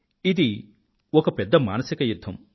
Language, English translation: Telugu, It is a huge psychological battle